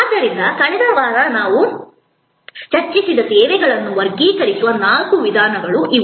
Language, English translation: Kannada, So, these are four ways of classifying services that we discussed last week